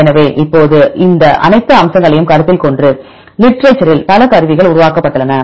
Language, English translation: Tamil, So, now considering all these aspects, there are several tools developed in the literature